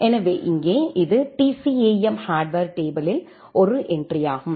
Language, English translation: Tamil, So here, this is one entry in the TCAM hardware table